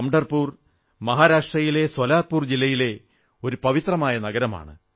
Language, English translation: Malayalam, Pandharpur is a holy town in Solapur district in Maharashtra